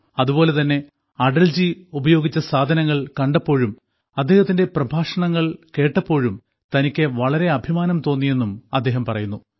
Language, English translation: Malayalam, In the museum, when he saw the items that Atalji used, listened to his speeches, he was filled with pride